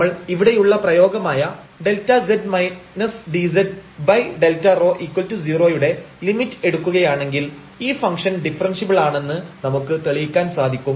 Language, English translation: Malayalam, If we take this limit here of this expression delta z minus dz over delta rho is equal to 0, then we can prove that the function is differentiable